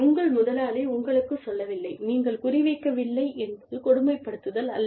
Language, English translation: Tamil, I told you, your boss telling you, that you are not performing up to the mark, is not bullying